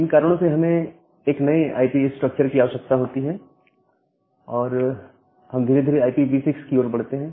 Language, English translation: Hindi, Because of these reasons, we require a new IP structure and we gradually move towards this IPv6